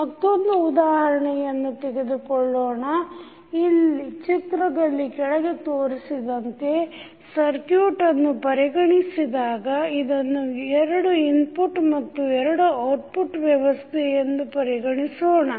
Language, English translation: Kannada, So, consider the circuit which is shown in the figure below, which may be regarded as a two input and two output system